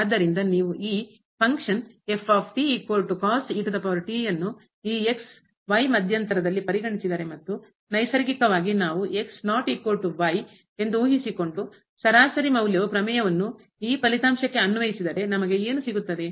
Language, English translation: Kannada, So, if you consider this function ) is equal to power in this interval and naturally we have assume that is not equal to and now, we apply the mean value theorem to this result what we will get